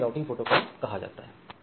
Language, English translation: Hindi, So, these are called Routing Protocols